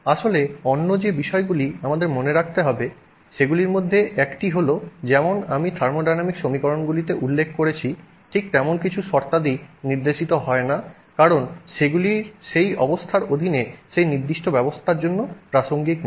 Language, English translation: Bengali, In fact, one of the other aspects that we have to keep in mind is that you know just like I mentioned in that in thermodynamic equations sometimes some terms are not indicated because they are not relevant for that particular system under that condition